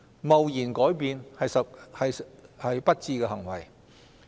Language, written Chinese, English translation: Cantonese, 貿然改變是不智的行為。, It is unwise to change this practice abruptly